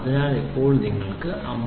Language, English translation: Malayalam, So, it is 57